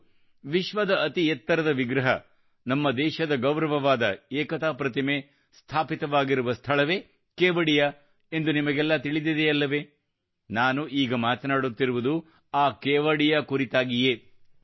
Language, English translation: Kannada, And you also know that this is the same Kevadiya where the world's tallest statue, the pride of our country, the Statue of Unity is located, that is the very Kevadiya I am talking about